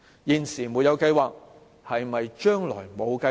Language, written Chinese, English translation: Cantonese, 現時沒有計劃，是否代表將來也沒有計劃？, It has no plan at the moment . But how about the future?